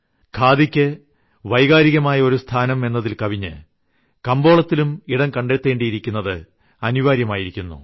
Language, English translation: Malayalam, In addition to the emotional value, it is important that khadi makes a mark in the market itself